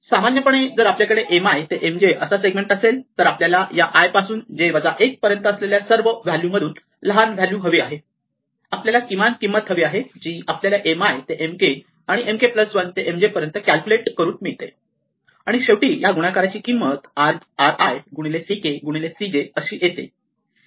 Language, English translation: Marathi, In general, if we have a segment from M i to M j, then we want the smallest value of among all the values of k from i to j minus 1, we want the minimum cost which occurs from computing the cost of M i to M k, and M k plus 1 to M j, and the cost of this final multiplication which is r i into c k into c j